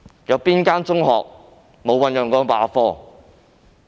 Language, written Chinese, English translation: Cantonese, 哪間中學沒有醞釀罷課？, Is there any secondary school which has not plotted class boycott?